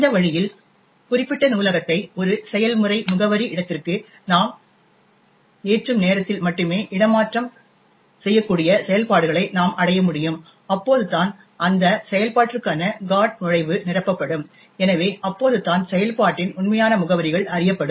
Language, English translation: Tamil, This way we can achieve relocatable functions that is only at a time of loading the particular library into a process address space, only then, GOT entry for that function will be filled in, therefore only then will the actual addresses of the function be known